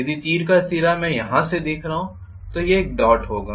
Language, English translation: Hindi, If arrow head I am visualizing from here it will be a dot